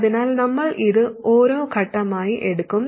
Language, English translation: Malayalam, So we'll take it step by step